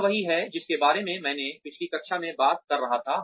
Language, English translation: Hindi, This is what, I was talking about, in the last class